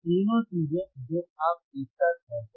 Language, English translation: Hindi, All three things you do simultaneously